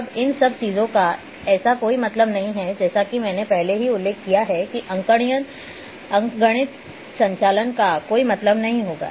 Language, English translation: Hindi, Now everything makes no sense as I have already mentioned that arithmetic operations will not make any sense